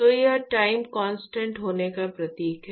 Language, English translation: Hindi, So, it really signifies at time constant